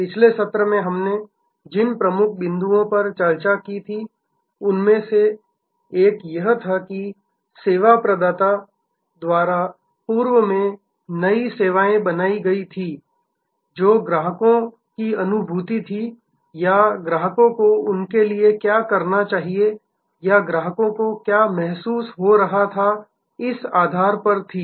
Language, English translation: Hindi, The key, one of the key points that we discussed in the last session was that new services earlier were created by service providers on the basis of their perception of what the customers wanted or what the customers would like or what the customers were feeling the need for